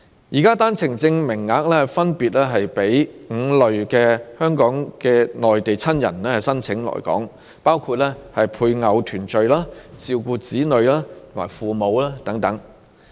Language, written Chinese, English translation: Cantonese, 現時的單程證名額分別是供5類港人的內地親人申請來港，包括與配偶團聚、照顧子女和父母等。, OWP quota is now available for application by five categories of family members of Hong Kong residents residing in the Mainland for reunion with their spouse taking care of their children and parents etc